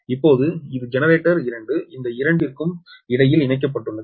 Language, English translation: Tamil, now this is generate two, is connected it between this two